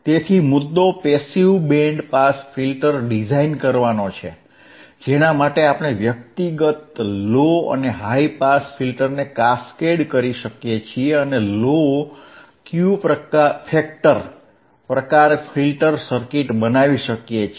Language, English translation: Gujarati, So, the point is for designing a passive band pass filter, passive band pass filter, for which we can cascade the individual low and high pass filters and produces a low Q factor typical type of filter circuit which has a wideband pass, which has a wide pass